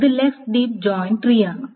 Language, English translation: Malayalam, So this is the left deep joint tree